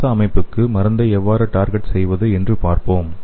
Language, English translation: Tamil, So let us see how we can target the drug to the respiratory system